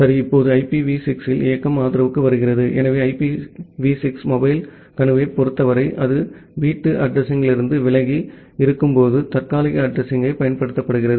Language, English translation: Tamil, Ok, now coming to the mobility support in IPv6, so in case of IPv6 mobile node, it uses a temporary address, when it is away from the home location